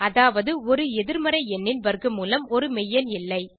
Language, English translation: Tamil, As square root of negative number is not a real number